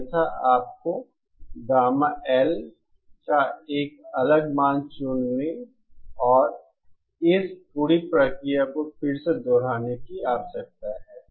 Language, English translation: Hindi, Otherwise, you need to choose a different value of gamma L and repeat this whole process again